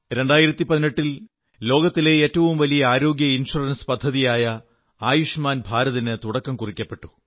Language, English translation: Malayalam, The year 2018 saw the launching of the world's biggest health insurance scheme 'Ayushman Bharat'